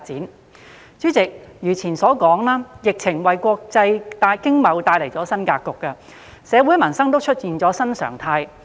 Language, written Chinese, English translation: Cantonese, 代理主席，如前所述，疫情為國際經貿帶來新格局，社會民生也出現了新常態。, At the same time the epidemic has given rise to a new setting in international commerce and trade and a new normal in society and peoples